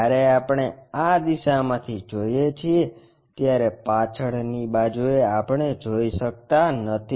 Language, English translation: Gujarati, When we are looking from this view, the back side line we cannot really see